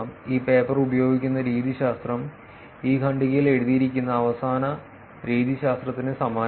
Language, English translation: Malayalam, The methodology that this paper uses is very same to the last methodology, which is written in this paragraph